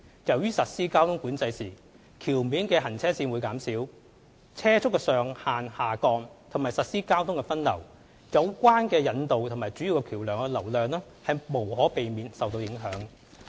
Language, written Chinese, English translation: Cantonese, 由於實施交通管制時橋面行車線減少、車速上限下降及實施交通分流，有關引道和主要橋樑的流量無可避免會受到影響。, Since the implementation of traffic management will lead to fewer available traffic lanes on the bridge deck lowered speed limits and traffic diversion traffic flow on related approach roads and major bridges will inevitably be affected